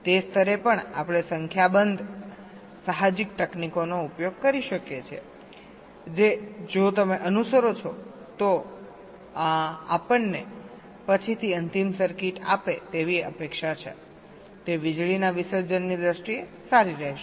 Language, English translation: Gujarati, if and at that level, we can use a number of intuitive techniques which, if you follow, is expected to give us a final circuit later on that will be good in terms of power dissipation